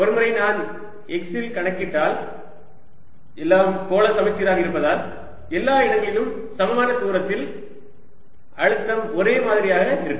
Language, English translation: Tamil, and then if once i calculate at x, since everything is spherically symmetric everywhere around at the same distance, the potential would be the same